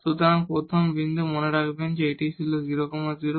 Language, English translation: Bengali, So, the first point remember it was 0 0